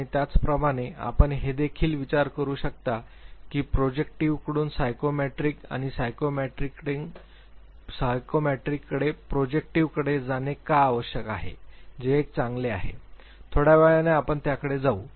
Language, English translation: Marathi, And similarly you can also think that why was there need to move from projective to psychometric or psychometric to projective which one is better, little later we will come to that